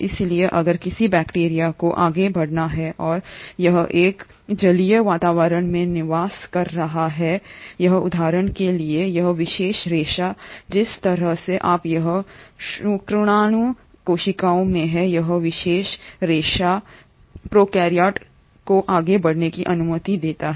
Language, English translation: Hindi, So if a bacteria has to move forward and it is residing in an aquatic environment for example, this particular filament, the way you have it in sperm cells, this particular filament allows the prokaryote to move forward